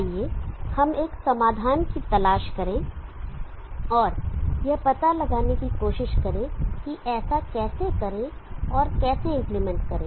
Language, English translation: Hindi, Let us seek a solution and try to find out and how do that and implement that